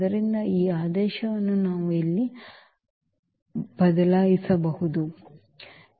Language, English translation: Kannada, So, this order if we change for instance the order here